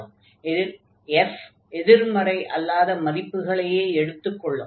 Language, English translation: Tamil, So, we have this inequality that f x is taking in non negative values